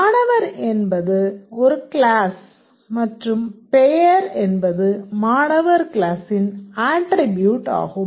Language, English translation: Tamil, Student is a class and name is a attribute of the student class